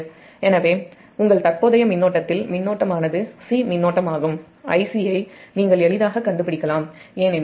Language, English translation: Tamil, so current is c, current in youre here, current, here you can easily find it out: i c, because i a plus i b plus i c is equal to zero